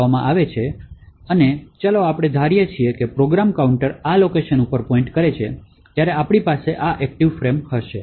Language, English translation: Gujarati, Now when the main function is executing and the program counter is pointing to this particular instruction, then we have this thing as the active frames